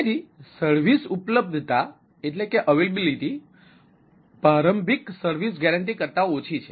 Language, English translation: Gujarati, so final service availability is less than initial service guarantee